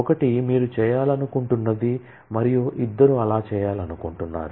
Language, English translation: Telugu, One is what you want to do, and two is who wants to do that